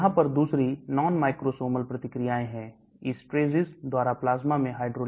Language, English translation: Hindi, There are other non microsomal reactions, hydrolysis in plasma by esterases